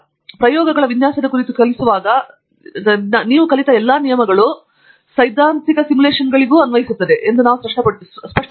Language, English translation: Kannada, The same rules, when we teach courses on design of experiments we make it very clear, that all the rules that you learn or the theory that you learn in design of experiments equally applies to simulations